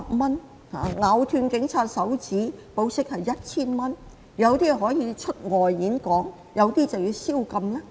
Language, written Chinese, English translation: Cantonese, 為何有些人保釋後可以出外演講，有些人則要宵禁？, How come some people were allowed to travel aboard to give speeches after being bailed out while some have to observe curfew?